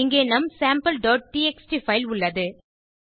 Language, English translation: Tamil, Here is our sample.txt file